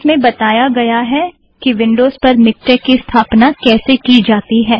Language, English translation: Hindi, This includes the installation of MikTeX in Windows